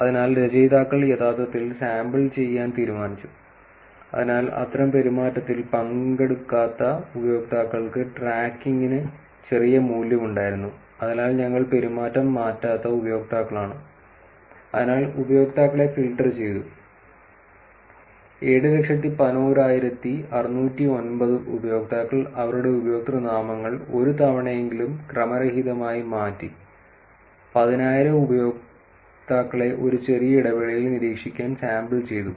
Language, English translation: Malayalam, So, the authors actually decided to sample, so tracking users who do not participate in such behavior had little value, which is the users who do not change the behavior we therefore, filtered users, 711,609 users who changed their usernames at least once and randomly sampled 10,000 users to monitor them for a short intervals